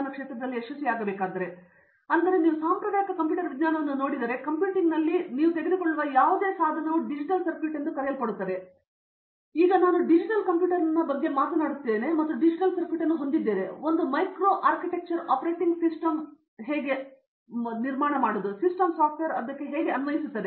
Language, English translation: Kannada, So if you look at traditional computer science it should be therefore, any device you take in computing I have something called digital circuits and on top of it I am talking about a digital computer I have a digital circuit there is a micro architecture then an operating system then system software then applications